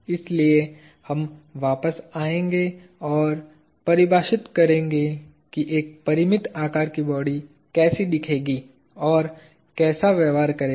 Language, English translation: Hindi, So, we will come back and define what a finite sized body would look like and behave like